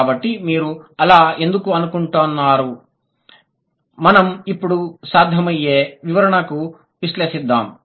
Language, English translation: Telugu, So, do you think, so now let's evaluate the possible explanations